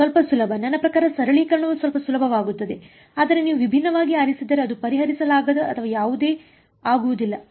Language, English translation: Kannada, Little bit easier I mean the simplification gets a little bit easier, but if you choose different, it is not that it becomes unsolvable or whatever